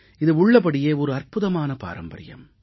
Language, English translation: Tamil, This is indeed a remarkable tradition